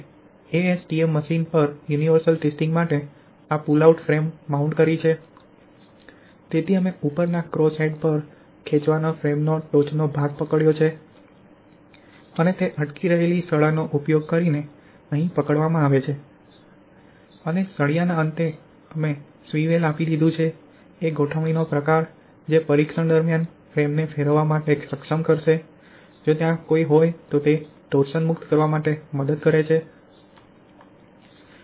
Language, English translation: Gujarati, We have mounted this pull out frame on the MTS universal testing machine, so we have gripped the top portion of the pull out frame on the top cross head and it is gripped here using the hanging rod and at end of the hanging rod we has given the swivel kind of arrangement which will enable the frame to rotate during the testing if there is any torsion to release it